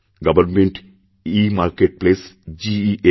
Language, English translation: Bengali, Government EMarketplace GEM